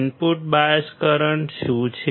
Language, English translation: Gujarati, What is input bias current